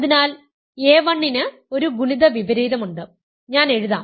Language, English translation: Malayalam, So, a 1 has an inverse has a multiplicative inverse, I should write